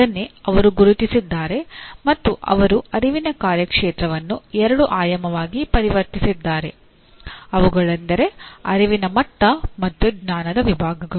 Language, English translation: Kannada, That is what they have identified and they converted cognitive domain into a two dimensional one, namely cognitive level and knowledge categories